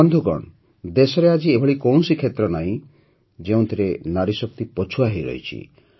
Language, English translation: Odia, Friends, today there is no region in the country where the woman power has lagged behind